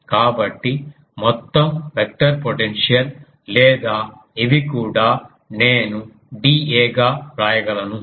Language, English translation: Telugu, So, total vector potential or these also I can write it as dA